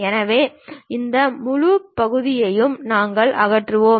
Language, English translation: Tamil, So, this entire portion we will be removing